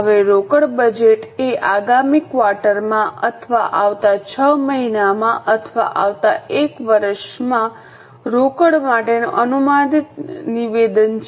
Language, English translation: Gujarati, Now cash budget is an estimated statement for cash in the next quarter or next six months or next one year